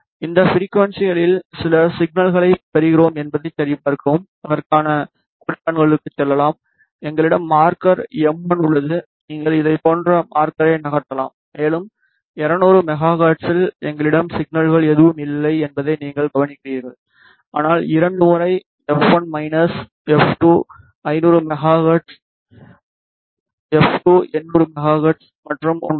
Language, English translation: Tamil, Verify that we get some signals at this frequencies for that let us go to markers and we have marker m 1 you can move the marker like this, and you observe that at 200 megahertz we do have some signal is nothing, but twice f 1 minus f 2 where f 1 is 500 megahertz f 2 is 800 megahertz and at 1